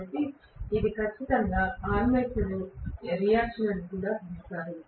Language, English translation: Telugu, So that is something definitely called armature reaction here also, no doubt